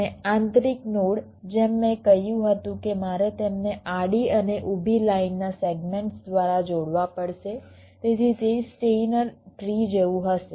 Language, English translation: Gujarati, as i had said that i have to connect them by horizontal and vertical line segments, so it will like a steiner tree